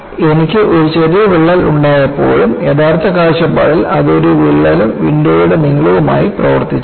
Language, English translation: Malayalam, So, when I have a small crack, from an actual point of view, it will behave like a crack plus link of the window